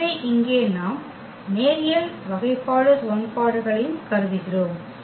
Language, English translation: Tamil, So, here we consider the linear differential equations